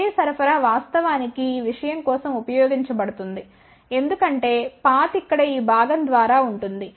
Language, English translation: Telugu, And the same supply is actually used for this thing also as you can see the path will be through this portion over here